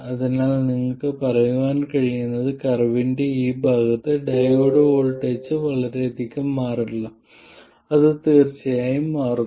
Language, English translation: Malayalam, So, what you can say is that in this part of the curve the diode voltage does not change much